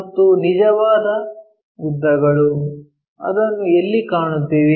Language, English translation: Kannada, And true lengths, where we will find